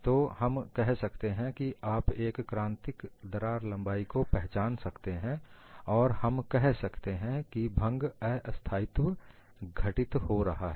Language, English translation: Hindi, Then we say that you had you can identify a critical crack length and we say fracture instability occurs